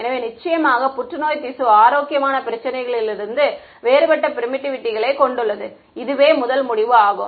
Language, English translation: Tamil, So, of course, cancerous tissue has different permittivity from healthy issue that was the first conclusion right